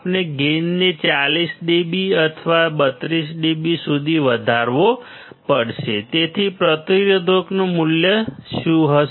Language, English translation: Gujarati, That we have to increase the gain to 40 dB or 32 dB; so, what will the value of resistors be